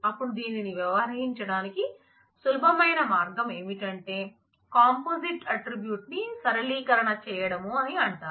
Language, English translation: Telugu, Then the easiest way to handle this is to what is known as flatten the composite attribute